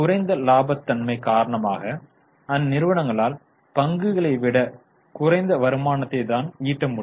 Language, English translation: Tamil, Mainly because of lower profitability they are able to generate lesser return than equity